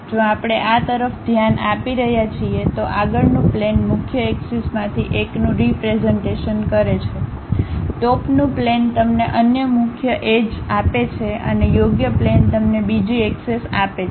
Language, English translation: Gujarati, If we are looking at this, the front plane represents one of the principal axis, the top plane gives you another principal axis and the right plane gives you another axis